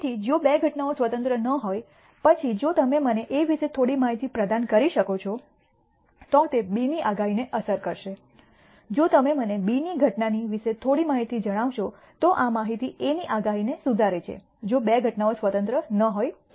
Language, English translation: Gujarati, So, if two events are not independent; then if you can provide me some information about A, it will influence the predictability of B vice versa if you tell me some information about the occurrence of B then this information will improve the predictability of A, if the two events are not independent